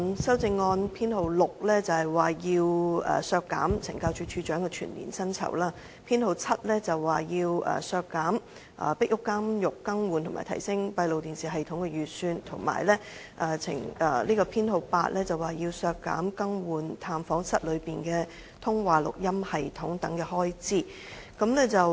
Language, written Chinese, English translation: Cantonese, 修正案編號 6， 建議削減懲教署署長的全年薪酬預算開支；修正案編號 7， 建議削減"壁屋監獄更換及提升閉路電視系統"的預算開支；及修正案編號 8， 建議削減懲教院所"更換探訪室內的通話錄音系統"等的預算開支。, 6 proposes to cut the estimated annual expenditure for the remuneration of the Commissioner of Correctional Services ; Amendment No . 7 proposes to cut the estimated expenditure for replacing and enhancing the closed - circuit television CCTV system in Pik Uk Prison; and Amendment No . 8 proposes to cut the estimated expenditure for replacing the telephone system in visit rooms of correctional institutions